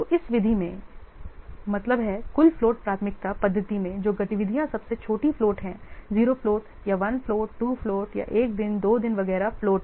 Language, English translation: Hindi, So in this method, that means in the total flow priority method, the activities which are having the smallest float, zero plot or one floor, two plot, or one days, two days, etc